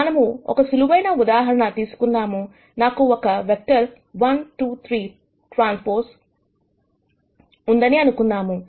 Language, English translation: Telugu, Let us take a very simple example, let us say I have vector 1 2 3 transpose; so, column vector